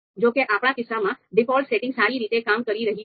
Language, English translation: Gujarati, So, however, for our case, the default setting is working well